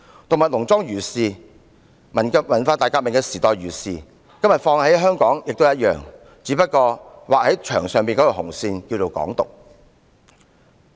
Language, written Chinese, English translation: Cantonese, 《動物農莊》如是，文化大革命年代如是，今天放諸香港一樣適用，只不過這道劃在牆上的紅線，名叫"港獨"而已。, That is the situation in Animal Farm so is it during the Cultural Revolution and it is also true in Hong Kong today . The only difference is that the red line drawn on that wall is called Hong Kong independence